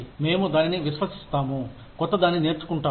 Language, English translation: Telugu, We will trust that, you will learn something, new